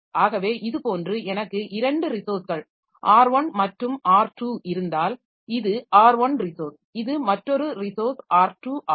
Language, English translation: Tamil, So, it is like this that if I have got say two resources, R1 and R2, so this is one resource and this is one resource and this is another resource, R1 and R2